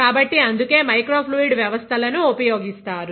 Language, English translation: Telugu, So, that is why microfluidic systems are used